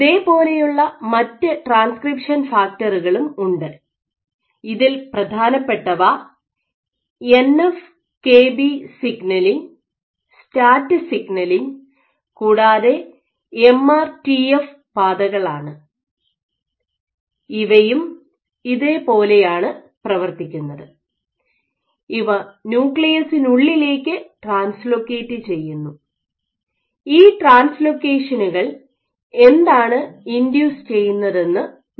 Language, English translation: Malayalam, There are other such transcription factors notable among them ins Nf kB signaling, STAT signaling and MRTF signaling pathways this also exhibit this fate where they do translocate to the nucleus and what do these translocation induce